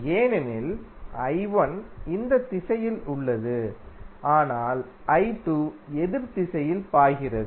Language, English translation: Tamil, Because I 1 is in this direction but I 2 is flowing in opposite direction